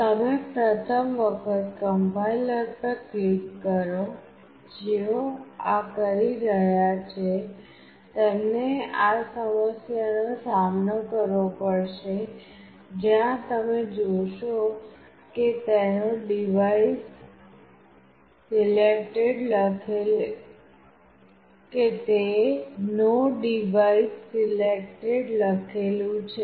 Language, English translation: Gujarati, Once you click on Complier for the first time, those who are doing will come across this problem where you will see that it is written No Device Selected